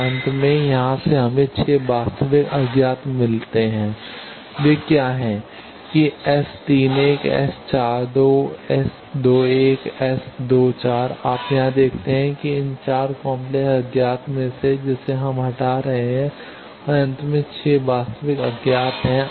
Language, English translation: Hindi, So, finally, from here we have got 6 real unknowns what are they that S 31, S 42, S 21, S 2 4 you see here that from this 4 complex unknowns one we are removing and finally, we are having 6 real unknowns